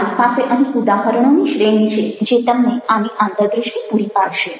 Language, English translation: Gujarati, i also have a series of other examples here with me which will give you insights in to this